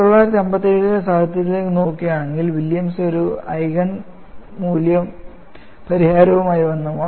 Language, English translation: Malayalam, But if you are looking at the literature in 1957, Williams came out with an Eigen value solution